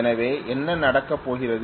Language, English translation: Tamil, That is what it is going to do